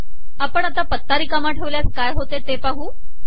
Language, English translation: Marathi, Let us see what happens when we give an empty address